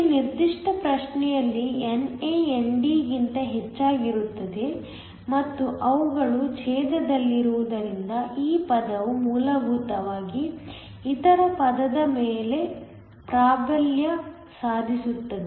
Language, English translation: Kannada, In this particular problem NA is much higher than ND and since they are in the denominator this term will essentially dominate over the other term